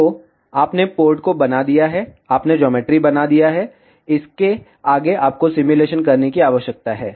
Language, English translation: Hindi, So, you have made the port you have made the geometry, next you need to do the simulation